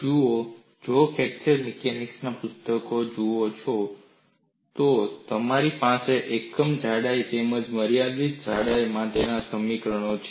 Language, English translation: Gujarati, See, if you look at books in fracture mechanics, you have equations given for unit thickness as well as for a finite thickness